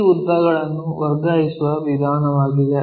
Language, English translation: Kannada, That is the way we transfer this lengths